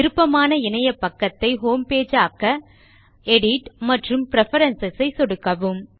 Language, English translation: Tamil, But to set your own preferred webpage as Homepage, click on Edit and Preferences